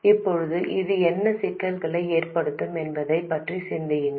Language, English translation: Tamil, Now please think about what problems this could have